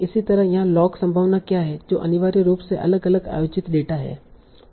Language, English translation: Hindi, Similarly here what is a log likelihood that it assigns to a different held out data